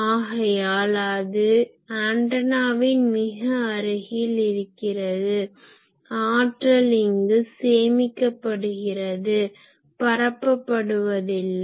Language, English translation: Tamil, So, they are immediately surrounding the antenna, the energy is getting stored, but not radiated